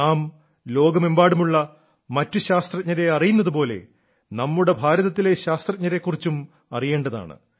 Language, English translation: Malayalam, The way we know of other scientists of the world, in the same way we should also know about the scientists of India